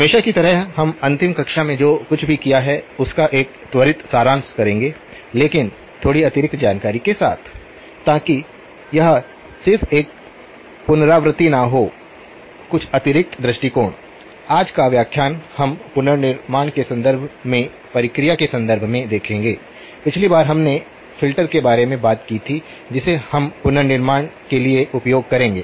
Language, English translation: Hindi, As always we will do a quick summary of what we have done in the last class but with a little additional information, so that it is not just a repetition, some additional perspectives, today's lecture we will look at the process of reconstruction in terms of the; last time we talked about the filter that we will use for reconstruction